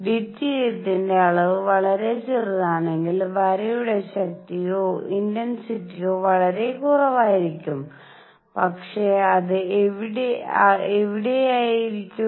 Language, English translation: Malayalam, If the quantity is deuterium is very small, then the line strength or the intensity of line is going to be very small, but it is going to be there